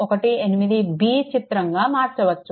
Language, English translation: Telugu, 18 b that is 18 b